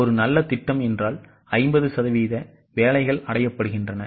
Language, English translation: Tamil, A good plan means 50% of the work is achieved